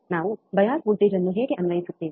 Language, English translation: Kannada, How we apply bias voltage